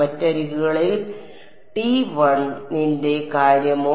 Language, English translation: Malayalam, What about T 1 along the other edges